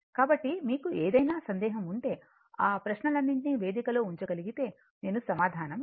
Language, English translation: Telugu, So, if you have any doubt you can put all that questions in the forum I will give you the answer right